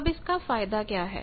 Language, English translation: Hindi, Now what is the advantage